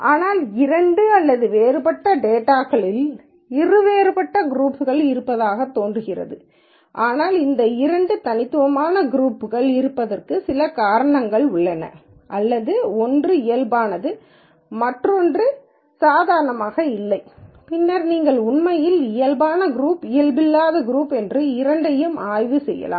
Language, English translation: Tamil, But since it seems like there are two distinct groups of data either both or normal but there is some reason why there is this two distinct group or maybe one is normal and one is not really normal, then you can actually go on probe of these two groups which is normal which is not normal and so on